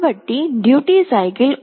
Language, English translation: Telugu, So, we set the duty cycle to 1